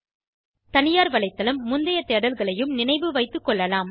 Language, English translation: Tamil, Private website may also remember previous searches